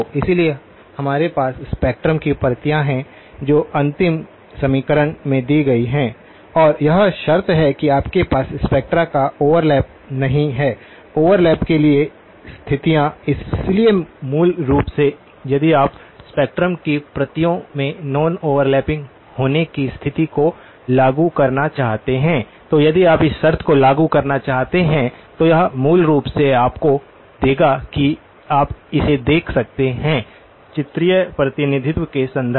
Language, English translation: Hindi, So, we do have copies of the spectrum which are given in the last equation and the condition that you do not have overlap of the spectra; the conditions for no overlap, so basically if you want to impose the condition that non overlapping of the copies of spectrum, this if you want to impose this condition, this would basically boil down to you can look at it in the; in terms of the pictorial representation